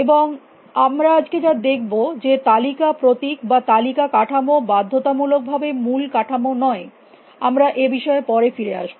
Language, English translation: Bengali, And as we will see today list notation is not necessarily I mean list structure not necessarily the base structure we will come to that little bit of a while